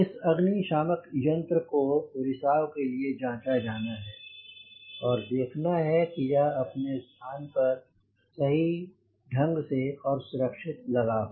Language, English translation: Hindi, this fire extinguisher we need to check for the leaks and whether the fire extinguisher is properly secured